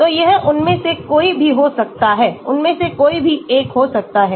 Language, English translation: Hindi, so it could be any one of them could be any one of them